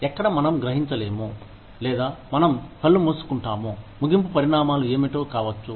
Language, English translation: Telugu, Where, we do not realize, or, we close eyes to, what the end consequences, may be